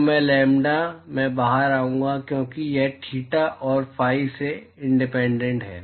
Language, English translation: Hindi, So, I lambda,i will come out because it is independent of theta and phi